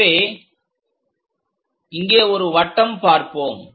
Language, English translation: Tamil, So, here we will see a circle